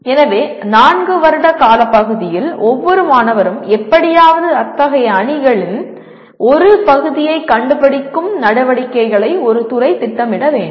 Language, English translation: Tamil, So a department should plan activities in which every student will somehow find part of such teams during the 4 years’ period